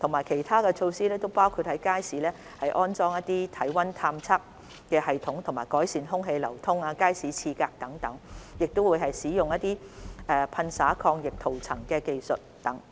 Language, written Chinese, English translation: Cantonese, 其他措施包括在街市安裝體溫探測系統，改善空氣流通和街市廁格，以及使用噴灑抗菌塗層技術等。, Other measures include installing body temperature checking systems in markets improving air ventilation and market toilet cubicles and applying anti - microbial coating